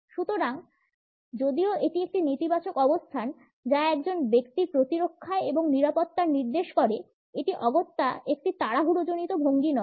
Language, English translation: Bengali, So, though this is a negative position indicating a defensive and in security of a person; it is not necessarily a hurried posture